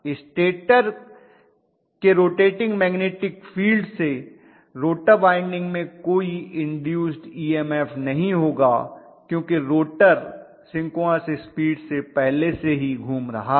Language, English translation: Hindi, The rotor winding will not have any induced EMF whatsoever from you know rotating magnetic field created by the stator because the rotor is rotating already at synchronous speed